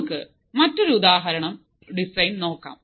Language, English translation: Malayalam, Let us see another example design